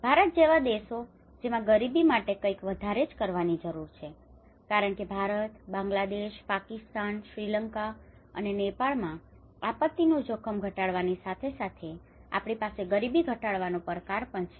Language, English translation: Gujarati, Countries like India which are more to do with the poverty because India, Bangladesh, Pakistan, Sri Lanka, Nepal so we have along with the disaster risk reduction we also have a challenge of the poverty reduction